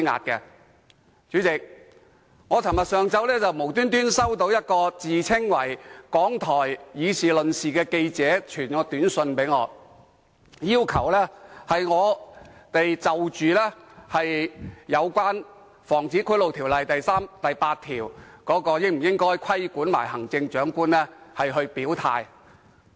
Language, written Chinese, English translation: Cantonese, 代理主席，昨天上午，我突然收到一名自稱港台"議事論事"節目記者傳來的短訊，要求我就《防止賄賂條例》第3及8條應否規管行政長官表態。, Deputy President yesterday morning I suddenly received an SMS message from a person who claimed to be a reporter of Radio Television Hong Kong working on the A Week in Politics programme . He asked for my views on whether sections 3 and 8 of the Prevention of Bribery Ordinance should be applied to the Chief Executive